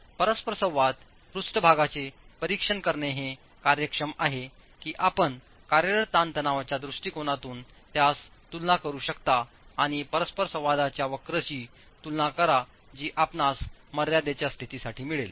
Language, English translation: Marathi, It is instructive to examine the interaction surface that you will get with the working stress approach and compare it to the interaction curve that you will get for the limit state approach